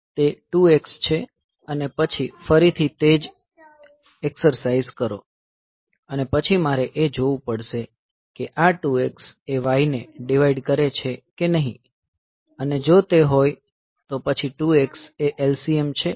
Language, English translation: Gujarati, So, it is a 2 x and then again do the same exercise, so I have to see whether this 2 x divides 2 x is divisible by y or not if it is, so then 2 x is the LCM